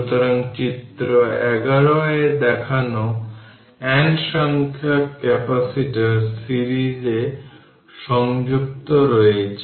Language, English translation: Bengali, So, figure 11 shows n number of capacitors are connected in series